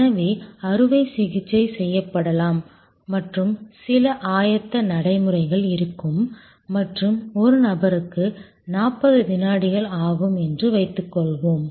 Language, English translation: Tamil, So, that the operation can be performed and some preparatory procedure will be there and that suppose takes 40 seconds per person